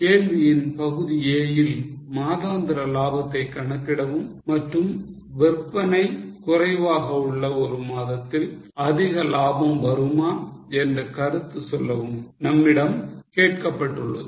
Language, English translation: Tamil, In a part of the question we were asked to calculate the monthly profits and comment if a month with lower sales can have higher profits